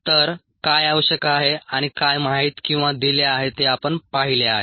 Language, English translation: Marathi, so we have seen what is needed and what are known are given